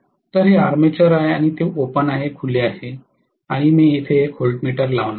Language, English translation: Marathi, So this is the armature and it is open circuited and I am going to put a voltmeter here